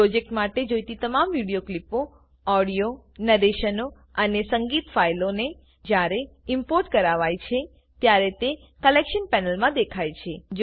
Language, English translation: Gujarati, All the video clips, audio narrations and music files required for the project, when imported, will be displayed in the Collection panel